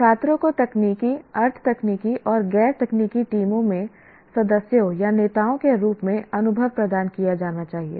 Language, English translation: Hindi, The student should be provided with experiences as members or leaders in technical, semi technical and non technical teams